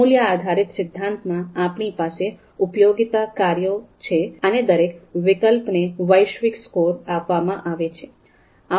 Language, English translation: Gujarati, So there in the value based theory, we have utility functions, so every alternative is going to have a global score